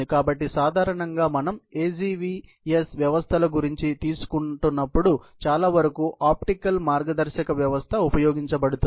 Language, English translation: Telugu, So, typically the optical guidance system is used for most of the time when we are taking about the AGVS systems